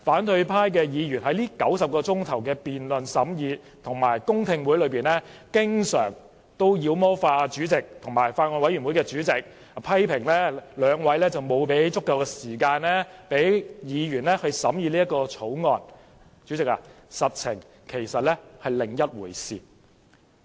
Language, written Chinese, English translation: Cantonese, 在這90小時的審議辯論及公聽會中，雖然反對派議員經常"妖魔化"主席及法案委員會主席，批評兩位沒有給予議員足夠時間審議《條例草案》，但實情卻是另一回事。, Of the 90 hours spent on the deliberations debates and public hearings opposition Members have frequently demonized the President and the Chairman of the Bills Committee criticizing them for not giving Members sufficient time to scrutinize the Bill; yet the reality is another story